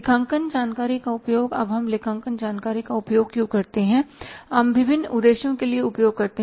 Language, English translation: Hindi, Now why we use the accounting information we use for the different purposes